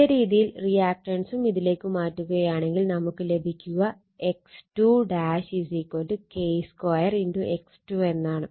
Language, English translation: Malayalam, Similar by similar way that reactance also can be transferred to that, so X 2 dash also will be K square into X 2, right